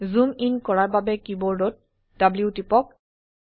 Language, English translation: Assamese, Press W on the keyboard to zoom in